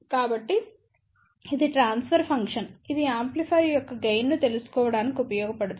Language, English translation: Telugu, So, this is the transfer function which can be used to find out the gain of the amplifier